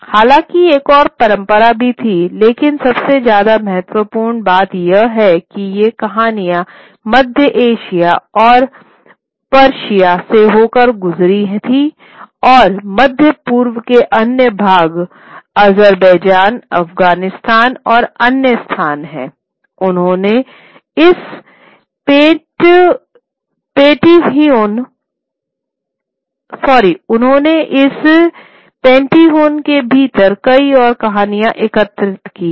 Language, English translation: Hindi, However, there was another tradition also which I will come to for a moment, but the most important point is that these stories as they traveled through Central Asia, through Persia and what are other parts of the Middle East, Azerbaijan, Afghanistan and other places, they sort of gained, collected a lot many more stories within this pantheon